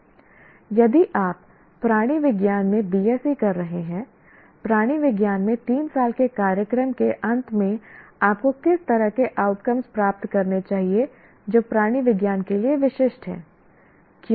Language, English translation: Hindi, If you are doing BSE in zoology, at the end of three year program in zoology, what kind of outcomes you should attain which are specific to zoology